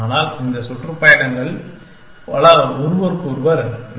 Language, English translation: Tamil, But, many of these tours are duplicates of each other